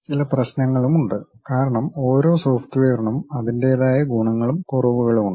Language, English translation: Malayalam, There are some issues also because every software has its own merits and also demerits